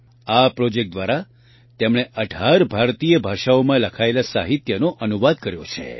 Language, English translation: Gujarati, Through this project she has translated literature written in 18 Indian languages